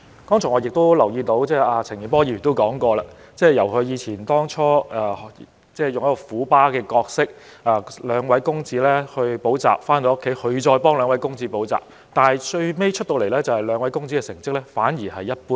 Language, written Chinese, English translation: Cantonese, 我留意到陳健波議員剛才提及，他最初以"虎爸"的模式來培育兩位公子，兩位公子補習後回家，他會再為他們補習，但最後兩位公子的成績反而一般。, I noticed that Mr CHAN Kin - por mentioned earlier that he initially acted as a tiger dad in educating his two sons . After his two sons returned home from a tuition class he would give them extra tuition but their results were just so - so